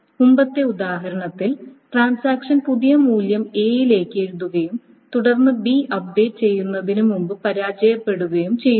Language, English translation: Malayalam, So, suppose the previous example, transaction writes the new value to A and then it fails before B is being updated